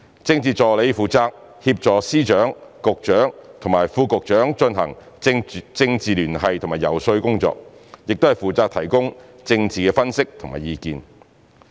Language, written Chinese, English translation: Cantonese, 政治助理負責協助司長、局長和副局長進行政治聯繫和遊說工作，亦負責提供政治分析和意見。, Political Assistants are responsible for helping Secretaries of Departments Directors of Bureaux and Under Secretaries to conduct political liaison and lobbying work and providing political analysis and advice